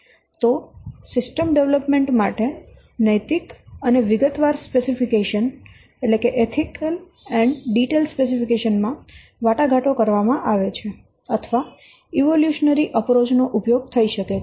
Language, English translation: Gujarati, So that what should be ethical and a detailed specification may be negotiated or an evolutionary approach may be used for the system development